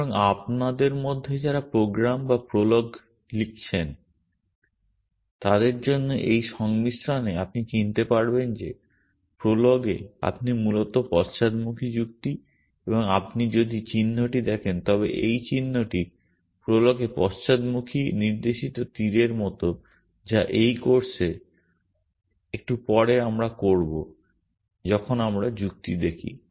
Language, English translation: Bengali, So, this combination for those of you have written programs and prologs you would recognize that in prolog you are doing essentially backward reasoning and if you view the sign, this sign in prolog as in backward pointing arrow which we will do when we look at logic a little bit later in this course